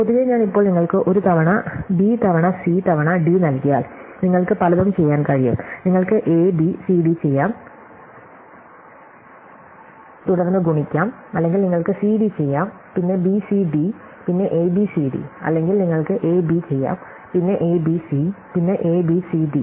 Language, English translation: Malayalam, In general, if I give you now A times B times C times D, then you can do many things, you can do A B, C D and then multiply or you can do C D, then B C D, then A B C D or you can do A B, then A B C, then A B C D